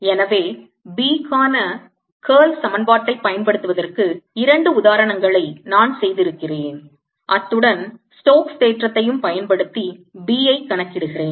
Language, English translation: Tamil, so i have done two examples of using the curl equation for b along with the stokes theorem to calculate b